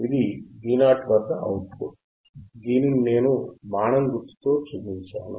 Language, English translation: Telugu, This is output at V o which I have shown with arrow, this one